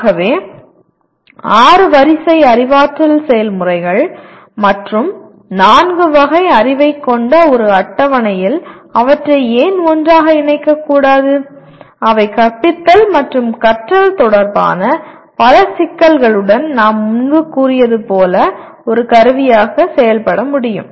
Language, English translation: Tamil, So why not we put them together in a table with six rows of cognitive processes and four categories of knowledge that can serve as a tool with as we said earlier with several issues of teaching and learning